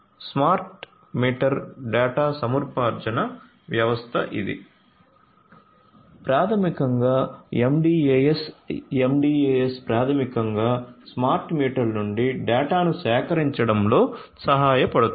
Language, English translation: Telugu, Smart meter data acquisition system which is basically the MDAS, the MDAS is basically helps in gathering of the data from the smart meters